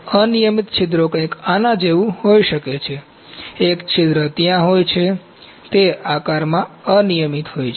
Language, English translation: Gujarati, Irregular pores can be something like this, a pore is there it is irregular in shape